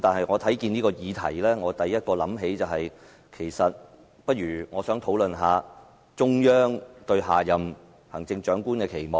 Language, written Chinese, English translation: Cantonese, 我看到這議題，第一個想法是：我們不如討論一下中央對下任行政長官的期望。, Once I read this topic a thought pop into my mind let us discuss the Central Authorities expectations for the next Chief Executive